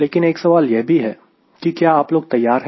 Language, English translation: Hindi, but a question comes: are you ready